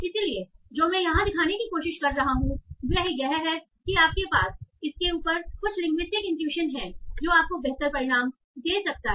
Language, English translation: Hindi, But so what I am trying to show here is that if you use some linguistic intuitions on top of that, that might give you a better result